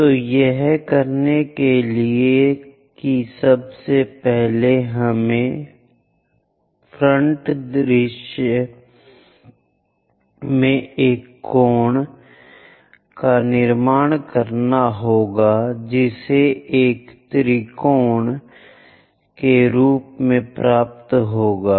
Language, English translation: Hindi, So, to do that first of all we have to construct a cone in the frontal view which we will get as a triangle